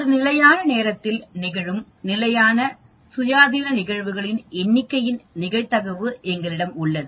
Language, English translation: Tamil, We have the probability of number of independent events occurring in a fixed time